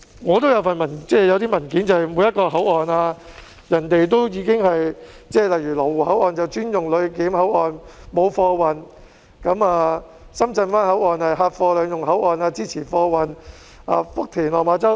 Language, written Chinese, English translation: Cantonese, 我有一些文件介紹每個口岸，例如羅湖口岸是專用作旅檢口岸，沒有貨運；深圳灣口岸是客貨兩用口岸，支持貨運；福田及落馬洲口岸......, I have some documents that introduce each and every port . For example the Lo Wu Control Point is used exclusively for passenger clearance but not for freight transport . The Shenzhen Bay Port is a dual - use port for passengers and freight so it supports freight transport